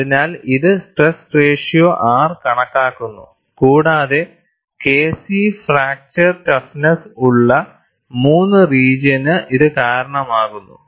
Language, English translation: Malayalam, So, this accounts for the stress ratio R and it also accounts for the region 3, where K c is the fracture toughness